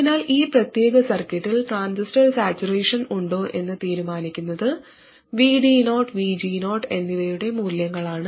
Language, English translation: Malayalam, So what decides whether the transistor is is in saturation in this particular circuit are the values of VD 0 and VG 0